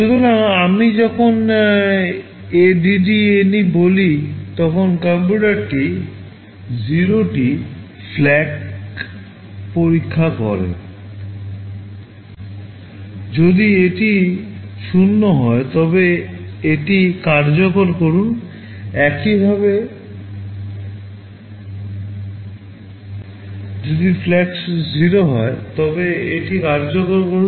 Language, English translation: Bengali, So, when I say ADDNE, the computer is actually testing the 0 flag; if it is 0 then execute this; similarly SUBNE; if the 0 flag is 0, then execute this